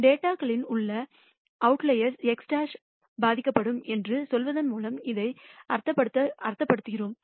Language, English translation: Tamil, That is what we mean by saying that x bar will get affected by outliers in the data